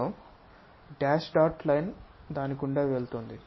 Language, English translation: Telugu, So, there is a dash dot line goes via that